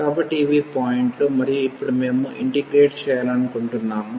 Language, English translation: Telugu, So, these are the points and now we want to integrate